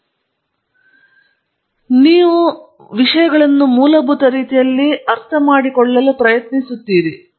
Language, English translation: Kannada, On the one hand, what drives research is fundamental understanding, you are trying to understand things in a fundamental way